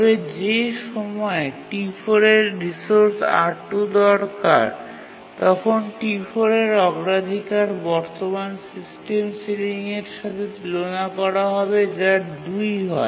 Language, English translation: Bengali, So, once T2 gets the resource R1, the current system ceiling will be already equal to one